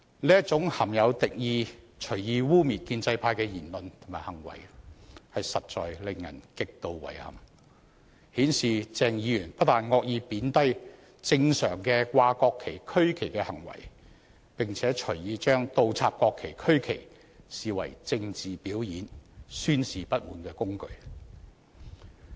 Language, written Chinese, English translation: Cantonese, 這種含有敵意、隨意污衊建制派的言論和行為實在令人極度遺憾，顯示鄭議員不但惡意貶低正常掛國旗和區旗的行為，並且隨意將倒插國旗和區旗視為政治表演、宣示不滿的工具。, Such hostile remarks and acts which serve to smear the pro - establishment camp arbitrarily are extremely regrettable indeed showing that Dr CHENG has not only viciously degraded the normal practice of hoisting the national and regional flags but also arbitrarily treated inverting the national and regional flags as a political performance and a tool for airing grievances